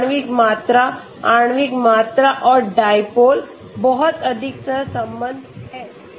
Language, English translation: Hindi, This is molecular volume okay molecular volume and dipole has very high correlation okay